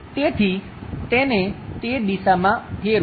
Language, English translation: Gujarati, So, rotate that in that direction